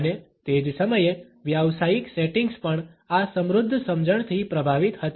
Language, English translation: Gujarati, And, at the same time the professional settings were also influenced by this enriched understanding